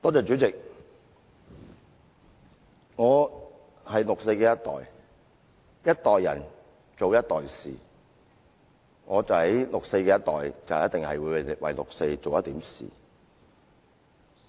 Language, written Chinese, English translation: Cantonese, 主席，一代人做一代事，我是六四的一代，一定會為六四事件做一點事。, President people of a particular generation are obliged to do certain things for their generation . I belong to the 4 June generation so I must do something for the 4 June incident